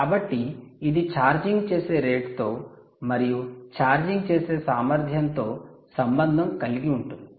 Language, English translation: Telugu, so it has everything to do with charging rate at which it is charging and the efficiency of charging